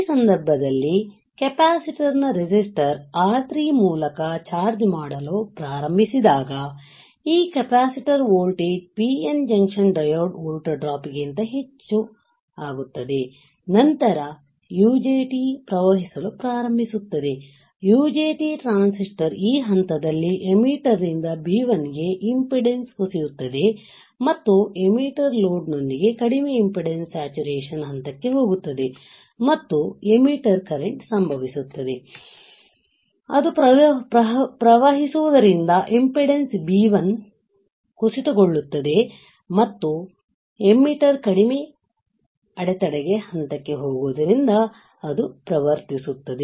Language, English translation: Kannada, In this case when your capacitor will start charging through the resistors R3, this capacitor voltage values increases more than the PN junction diode volt drop, then the UJT will start conducting, the UJT transistor is in on condition at this point emitter to B1 impedance collapses and emitter goes into low impedance saturation stage with a for load of emitter current through R1 taking place, correct